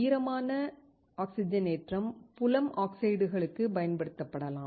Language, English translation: Tamil, The wet oxidation can be used for the field oxides